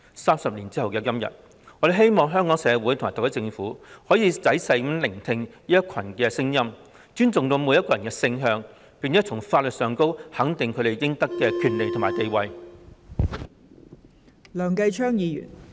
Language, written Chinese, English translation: Cantonese, 三十年後的今天，我希望香港社會及特區政府可以仔細聆聽此一群體的聲音，尊重每個人的性向，並從法律上肯定他們應有的權利和地位。, Today 30 years later I hope Hong Kong society and the SAR Government will listen carefully to the views of this group of people show respect for the sexual orientation of each one of them and grant legal recognition of the rights and status due to them